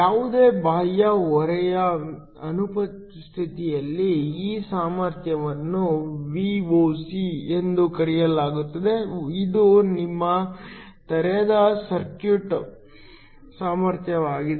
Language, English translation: Kannada, In the absence of any external load, this potential is called Voc, which is your open circuit potential